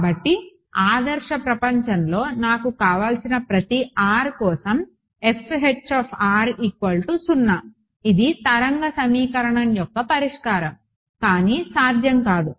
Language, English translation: Telugu, So, ideal world I want F H r is equal to 0 for every r that is the solution of the wave equation not possible